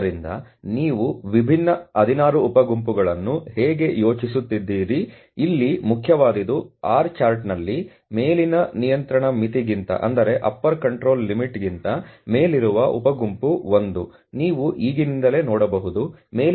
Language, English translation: Kannada, So, that is how you are plotting the different 16 sub groups, what is important here is sub group one is above the upper control limit on the R chart, that is what you can see right away upper control limit is 0